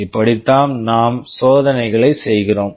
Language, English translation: Tamil, This is how we shall be doing the experiment